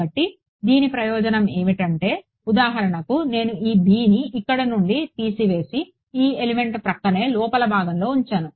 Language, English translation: Telugu, So, the advantage of this is that for example, if I let me remove this b from here and put it on the inside adjacent to this element